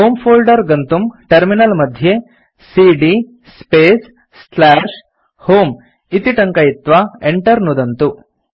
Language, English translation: Sanskrit, Goto home folder on the terminal by typing cd space / home and press Enter